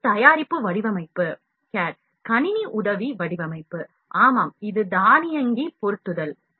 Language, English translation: Tamil, This is product design cad, computer aided design; yeah, this is auto positioning